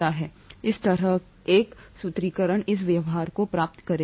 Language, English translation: Hindi, This kind of a formulation would yield this behaviour